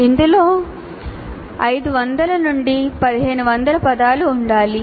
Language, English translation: Telugu, And it should include 500 to 1,500 words